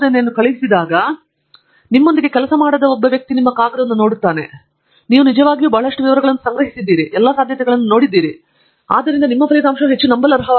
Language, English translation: Kannada, He or she also understands that you know, you have really covered a lot of a detail, you have looked at all possibilities and therefore, your result is much more believable